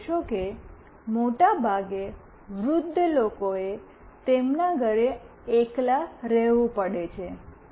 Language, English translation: Gujarati, You see when old people generally have to stay back in their house alone most of the time